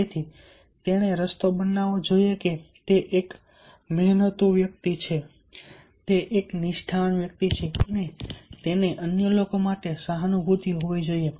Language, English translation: Gujarati, so he should show the path that he is a hard working person, he is a sincere person and he should have empathy for others